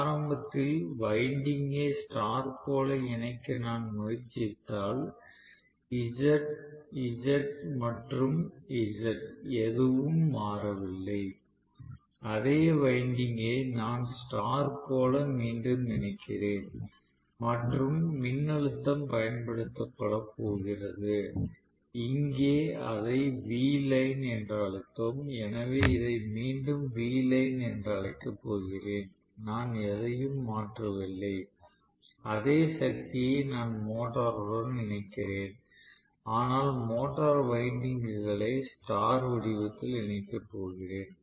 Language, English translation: Tamil, Rather than this, if I try to make initially the winding get connected in star, I do not want it in delta, I want the same thing in star right, so I will still have the impedance to be Z, Z and Z nothing has changed, the same winding I am reconnecting in star right and I am going to have essentially the voltage, the same voltage is going to be applied, so here we called this as V line, so I am going to again call this as V line, I am not changing anything the same power I am connecting to the motor but am going to connect the motor windings in star format, that is all